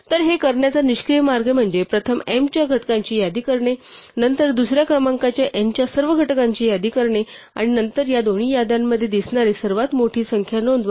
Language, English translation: Marathi, So, the naive way to do this would be first list out factors of m, then list out all the factor of second number n and then among these two lists report the largest number that appears in both lists